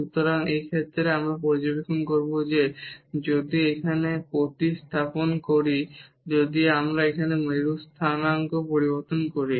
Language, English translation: Bengali, So, in this case we will observe that like if we substitute here if we change to the polar coordinate now